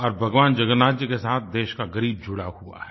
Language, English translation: Hindi, Lord Jagannath is the God of the poor